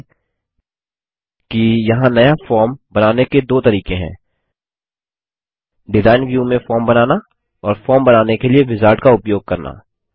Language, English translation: Hindi, Notice that there are two ways to create a new form: Create Form in Design View and Use Wizard to create form